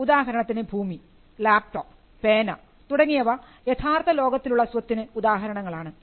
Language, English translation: Malayalam, For example, land or a laptop or a pen, these are instances of property that exist in the real world